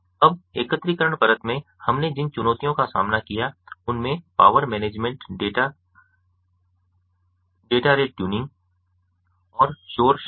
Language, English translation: Hindi, now the challenges that we faced in the aggregation layer include power management, data rate tuning and noise